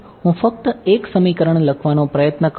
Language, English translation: Gujarati, So, I am just trying to write down one equation ok